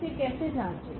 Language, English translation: Hindi, How to check this